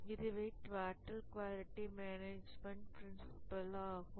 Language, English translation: Tamil, So this is the total quality management principle